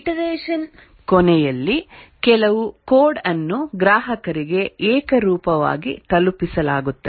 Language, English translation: Kannada, At the end of a iteration, some code is delivered to the customer invariably